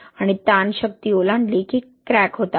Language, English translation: Marathi, And that the stress exceeds strength, there is cracking